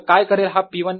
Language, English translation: Marathi, what would this p one do